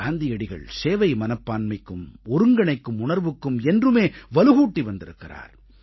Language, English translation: Tamil, I can say that Gandhi emphasized on the spirit of collectiveness through a sense of service